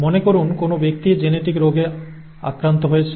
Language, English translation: Bengali, Suppose a person is affected with a genetic disease